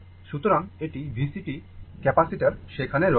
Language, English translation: Bengali, So, this is V C the capacitor is there